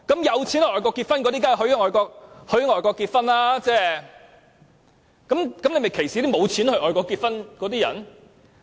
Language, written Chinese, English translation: Cantonese, 有錢到外國的人，他們當然可以在外國結婚，但這樣是否歧視了沒有錢到外國結婚的人呢？, People who have money to travel abroad can certainly get married overseas but is this discrimination against people who do not have the money to do so?